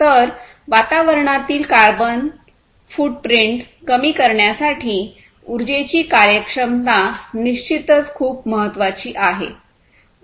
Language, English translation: Marathi, So, energy efficiency is definitely very important you know reducing carbon footprint on the environment, this is definitely very important